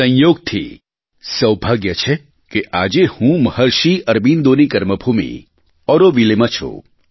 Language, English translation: Gujarati, Coincidentally, I am fortunate today to be in Auroville, the land, the karmabhoomi of Maharshi Arvind